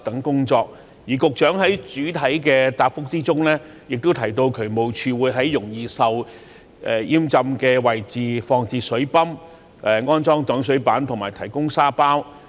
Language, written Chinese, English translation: Cantonese, 局長在主體答覆中也提到渠務署會在容易淹浸的位置放置水泵、安裝擋水板及提供沙包。, In the main reply the Secretary also mentioned that DSD would deploy pumping facilities install water - stop boards and provide sandbags at places vulnerable to inundation